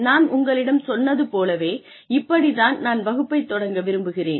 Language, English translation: Tamil, Like I told you this is how I like to start, the class with